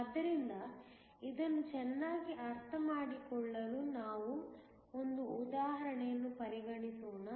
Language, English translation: Kannada, So, let us consider an example in order to understand this better